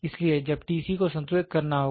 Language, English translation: Hindi, So, when T c has to be balanced